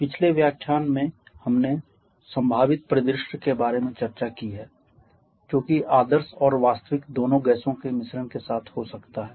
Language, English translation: Hindi, We are talking about the gas mixtures in the previous lecture we have discussed about the possible scenario that we can have with a mixture of gases both ideal and real gases